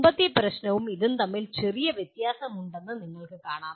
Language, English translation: Malayalam, Now if you see there is a small difference between the earlier problems then the one here